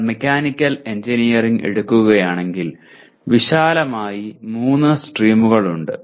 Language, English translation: Malayalam, Like if you take Mechanical Engineering, broadly there are 3 streams